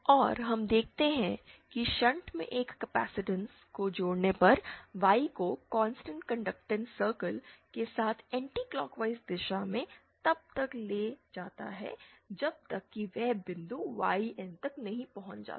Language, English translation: Hindi, and we see that on connecting a capacitance in shunt Y traverses in the anticlockwise direction along constant conductance circle till it reaches the point YN